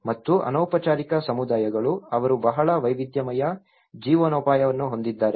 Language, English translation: Kannada, And the informal communities, they have a very diverse livelihoods